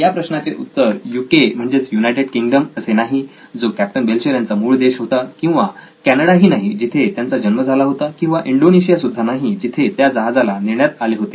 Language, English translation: Marathi, It was not the UK where Captain Belcher was from or Canada where he was born or Indonesia where the ship was taken